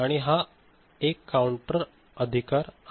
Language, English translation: Marathi, So, there is a counter right